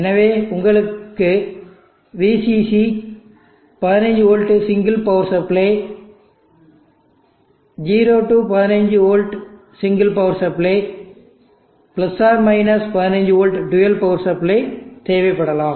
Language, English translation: Tamil, So probably you may need VCC to be a single parts of 15 volts 0 15v, you may probably need dual power supply of + 15v